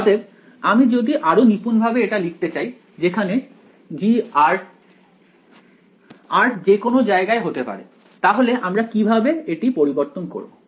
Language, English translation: Bengali, So, if I want to write this in more precise way where G of r vector, r can be anywhere then how should I modify this